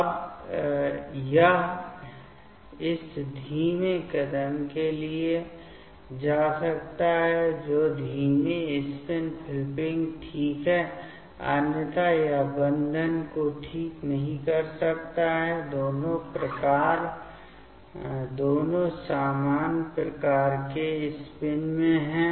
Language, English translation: Hindi, Now, it can go for this slow step that is the slow spin flipping ok, otherwise it cannot make bond ok, both are having in similar type of spin